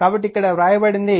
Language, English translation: Telugu, So, that is what is written in right